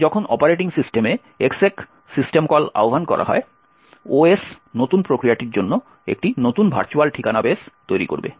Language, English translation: Bengali, When it is executed by the operating system, so when the exec system call is invoked in the operating system, the OS would create a new virtual address base for the new process